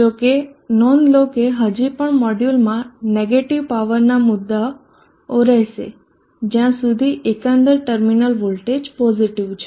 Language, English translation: Gujarati, However not that there will still be issues of negative power, within the module as long as the overall terminal voltage is still positive